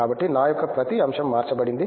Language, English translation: Telugu, So, every aspect of mine is changed